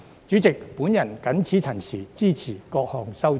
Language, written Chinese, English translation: Cantonese, 主席，我謹此陳辭，支持各項修正案。, With these remarks Chairman I support all of the amendments